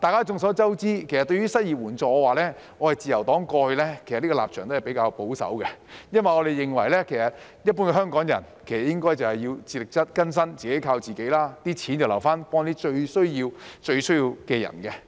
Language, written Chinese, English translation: Cantonese, 眾所周知，對於失業援助，自由黨過去的立場都是比較保守的。因為我們認為一般香港人應該自力更生、自己靠自己，錢要留來幫助最需要的人。, It is common knowledge that on the subject of unemployment assistance the Liberal Partys stance has been relatively conservative because we consider that general Hongkongers should be self - reliant and help themselves while money should be saved to help those who are most in need